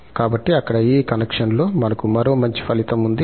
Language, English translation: Telugu, So, there, in this connection, we have one more nice result